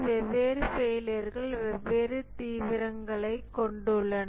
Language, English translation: Tamil, The different failures have different severity